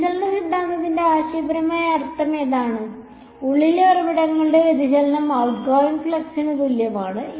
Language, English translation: Malayalam, That is the conceptual meaning of divergence theorem, divergence of sources inside is equal to outgoing flux